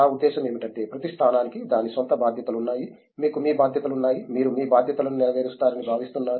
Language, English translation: Telugu, I mean as in every position has it’s own, you have your responsibilities, you are expected to fulfill your responsibilities